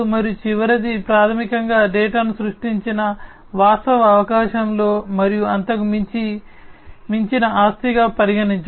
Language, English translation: Telugu, And the last one is basically the consideration of the data as an asset within and beyond the actual opportunity that is created